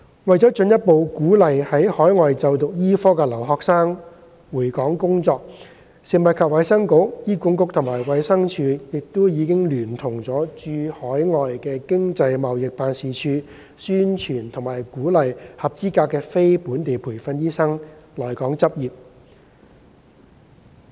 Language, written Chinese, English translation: Cantonese, 為了進一步鼓勵在海外就讀醫科的留學生回港工作，食物及衞生局、醫管局及衞生署亦已聯同駐海外經濟貿易辦事處，宣傳並鼓勵合資格的非本地培訓醫生來港執業。, To further encourage Hong Kong students studying medicine overseas to return to Hong Kong to practise the Food and Health Bureau HA and DH have collaborated with overseas Economic and Trade Offices in conducting promotion activities to encourage qualified non - locally trained doctors to practise in Hong Kong